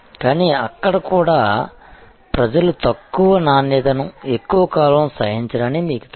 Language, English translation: Telugu, But, even there you know people will not tolerate low quality for long